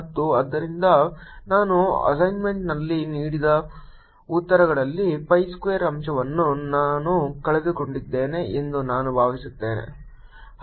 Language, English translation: Kannada, i must add here that i think the answers that we have given in the assignment are missing a factor of pi square or something